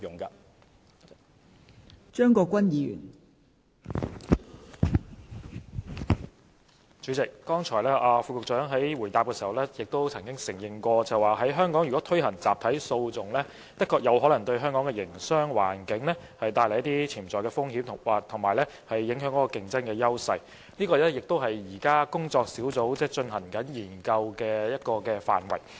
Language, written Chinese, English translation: Cantonese, 代理主席，局長剛才在答覆時承認，如果在香港推行集體訴訟，確實有可能對香港的營商環境帶來一些潛在風險及影響其競爭優勢，而這亦是工作小組現正進行的研究的範圍。, Deputy President in his reply earlier the Secretary admitted that it is indeed possible for class actions if implemented in Hong Kong to bring potential risks to the business environment of Hong Kong and undermine its competitive edges and this is also included in the scope of the study being conducted by the working group